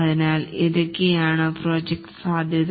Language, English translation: Malayalam, So, this is the project scope